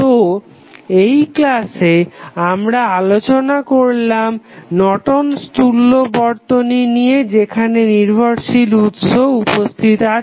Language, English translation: Bengali, So, in this session we found the we analyzed the Norton's equivalent when the dependent sources were available